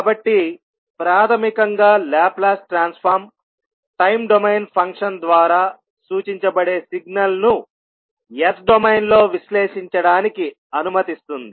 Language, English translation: Telugu, So, basically the Laplace transform allows a signal represented by a time domain function to be analyzed in the s domain